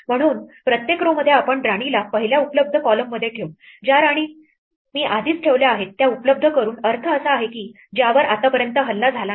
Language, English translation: Marathi, So, in each row we will place the queen in the first available column, given the queens that I have already been placed so, far by available we mean a square which is not attacked so far